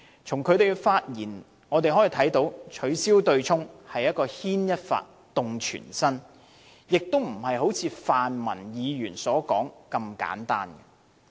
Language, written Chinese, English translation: Cantonese, 他的發言指出，取消對沖機制是牽一髮動全身，並非好像泛民議員所說那般簡單。, He pointed out in his speech that abolishing the offsetting mechanism is a small move that is going to cause a sea change across the board not as simple as suggested by the pan - democrats